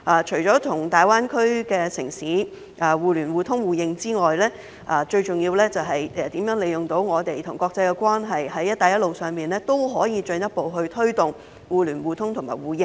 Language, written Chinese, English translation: Cantonese, 除了與大灣區的城市互聯互通互認外，最重要的就是如何利用我們與國際的關係，在"一帶一路"上也可以進一步推動互聯互通互認。, Apart from the interconnection mutual access and mutual recognition among the Greater Bay Area cities what matters the most is how to capitalize on our relationship with the international community to further promote interconnection mutual access and mutual recognition along the Belt and Road